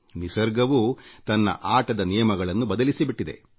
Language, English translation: Kannada, Nature has also changed the rules of the game